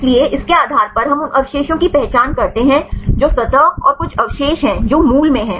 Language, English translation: Hindi, So, based on that we identify the residues which are the surface and some residues which are in the core right